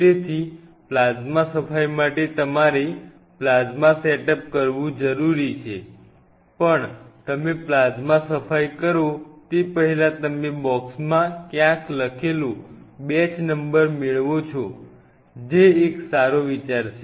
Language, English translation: Gujarati, So, plasma cleaning you needed a plasma setup, but even before you do plasma cleaning it is always a good idea whenever you receive the box get the batch number written somewhere